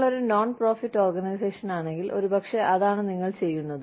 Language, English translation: Malayalam, If you are a non profit organization, maybe, that is what, you do